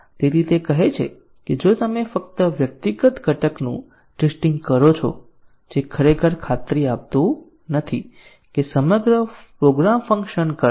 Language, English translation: Gujarati, So, he says that if you just test the individual component that does not really guarantee that the entire program will be working